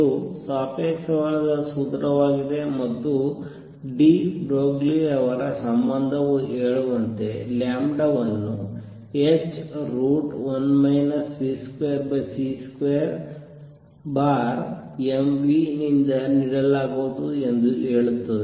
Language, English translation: Kannada, This is non relativistic formula and what de Broglie relationship says is that lambda will be given by h square root of 1 minus v square over c square over m v